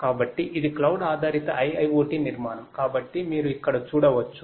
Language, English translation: Telugu, So, this is a cloud based IIoT architecture so as you can see over here